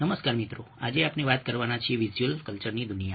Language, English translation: Gujarati, hello friends, today we are going to talk about the world of visual culture